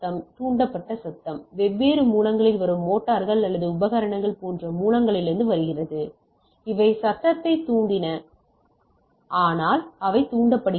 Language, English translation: Tamil, Induced noise comes from source, such as motor or appliances from different source has induced noise so that is induced in the thing